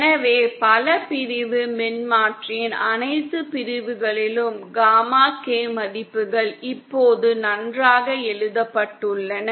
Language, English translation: Tamil, So all the sections of the multi section transformer the gamma K values are now written down nicely